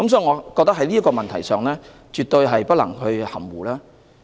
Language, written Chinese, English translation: Cantonese, 我們對這個問題絕對不能含糊。, There is no room for ambiguity on this issue